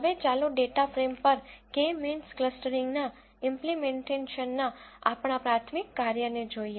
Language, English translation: Gujarati, Now let us look at our primary task of implementing K means clustering on the data frame